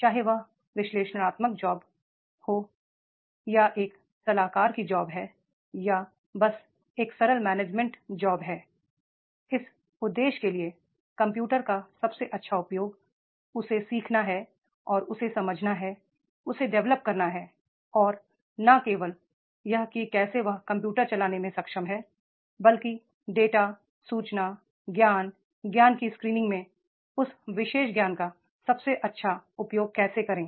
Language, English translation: Hindi, Whether it is an analytical job, it is a consultant job or simply it is a simple managerial job for all this purpose, the best use of the computers that he has to learn and he has to understand, he has to develop and not only that is the how he is able to run the computers but how to make the best use of that particular knowledge in the screening of the data, information, knowledge, wisdom